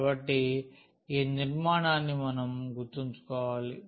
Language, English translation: Telugu, So, this structure we must keep in mind